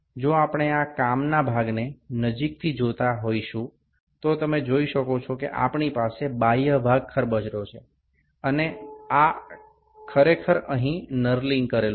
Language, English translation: Gujarati, If we see this work piece closely you can see that on the external portion we have this serrations here, this is actually knurling that is done here